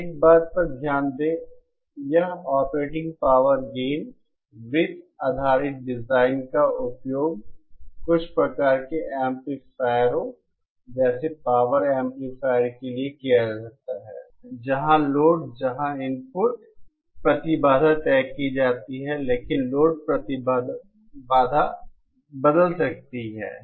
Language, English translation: Hindi, Now note one thing, this operating power gain circle based design can be used for certain types of amplifiers like power amplifiers where the load where the input impedance is fixed but the load impedance can be varied